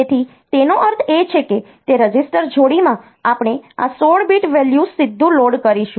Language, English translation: Gujarati, So, it means that so, in that register pair we will we will load this 16 bit value directly